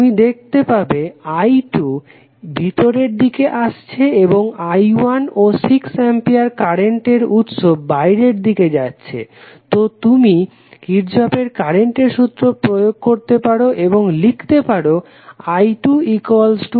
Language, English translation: Bengali, You can see I 2 is coming in and i 1 and 6 ampere current source are going out, so you can simply apply Kirchhoff Current Law and say that i 2 is nothing but i 1 plus 6